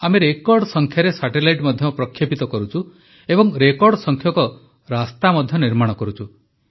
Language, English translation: Odia, We are also launching record satellites and constructing record roads too